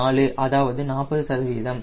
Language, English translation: Tamil, that is forty percent